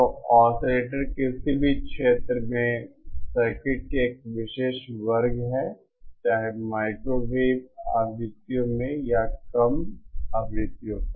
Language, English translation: Hindi, So oscillators are special class of circuits in any field whether in microwave frequencies or at lower frequencies